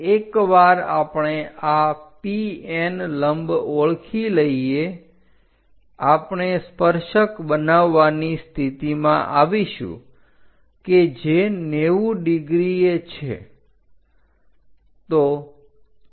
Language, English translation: Gujarati, Once we identify this PN PN normal, we will be in a position to make a tangent which will be at 90 degrees